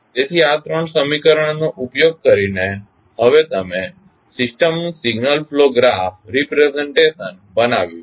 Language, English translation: Gujarati, So, using these 3 equations, you have now created the signal flow graph presentation of the system